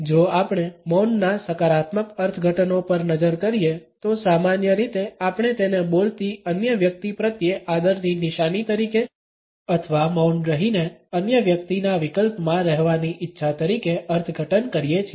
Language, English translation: Gujarati, If we look at the positive interpretations of silence we normally interpret it as a sign of respect towards the other person who is speaking or a desire to live in option to the other person by remaining silent